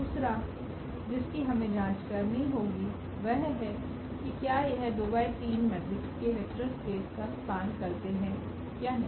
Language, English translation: Hindi, The second we have to check that they span the vector space of this matrices 2 by 3